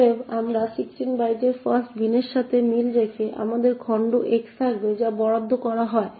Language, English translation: Bengali, Therefore, we would corresponding to the fast bin of 16 bytes we would have the chunk x that gets allocated